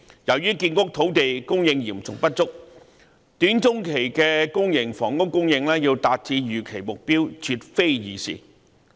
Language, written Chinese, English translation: Cantonese, 由於建屋土地供應嚴重不足，短中期的公營房屋供應要達致預期目標絕非易事。, Given the acute shortage of land supply for housing it is by no means easy for public housing supply to achieve the expected target in the short - to - medium term